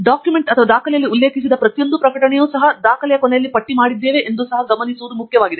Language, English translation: Kannada, And it’s also important to see that every publication that is cited in the document is also listed at the end of the document